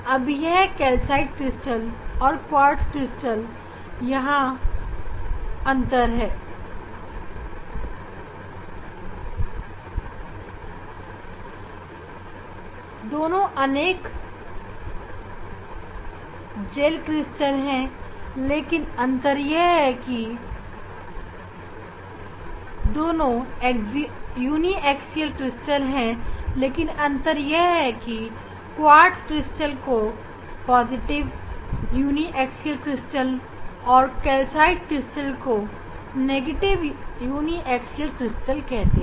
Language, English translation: Hindi, quartz crystal is example of positive uniaxial crystal and calcite crystal is example of positive uniaxial crystal and calcite crystal is example of negative uniaxial crystal